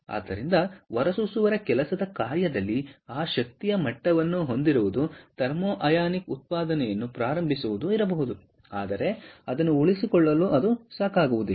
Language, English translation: Kannada, so therefore, just having that energy level at the work function of the emitter, it may be ok to initiate the thermo ionic generation, but to sustain it it is not going to be enough